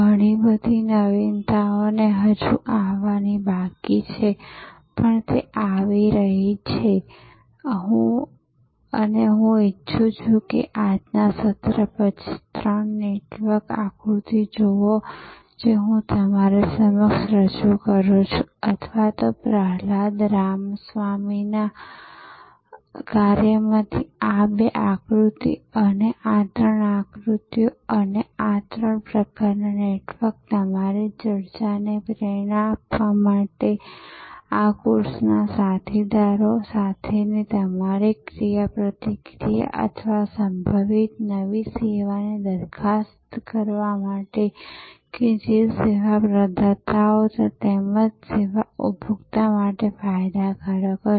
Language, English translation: Gujarati, Lot of innovation are still to come, but they are coming and I would like you after today’s session to look at those three network diagram that I am presented to you or rather five, this two diagram from Prahalada Ramaswamy work and these three diagrams and these three types of networks to inspire your discussion, your interaction with peers in this course or to think propose possible new service that will be beneficial that service providers as well as service consumer